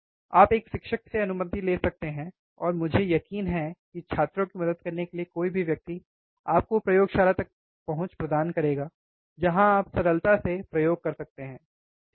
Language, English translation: Hindi, You can take permission from a teacher, and I am sure that anyone who is there to help student will give you an access to the laboratory where you can do the simple experiments, right